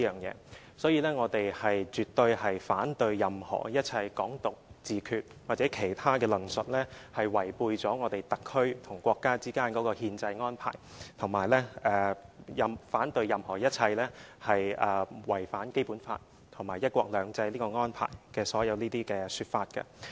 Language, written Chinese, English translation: Cantonese, 因此，我們絕對反對任何一切"港獨"、"自決"或其他論述，這是違背了我們特區與國家之間的憲制安排，我們也反對任何一切違反《基本法》和"一國兩制"這個安排的所有說法。, For this reason we absolutely oppose all advocacies on Hong Kong independence or self - determination or other propositions . These are violations of the constitutional arrangement between our SAR and the Country and we oppose all suggestions which go against the Basic Law and the arrangement of one country two systems